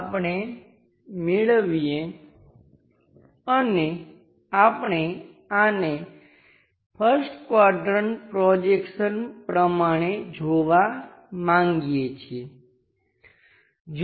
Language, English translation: Gujarati, Let us call and we would like to visualize this in the first quadrant projection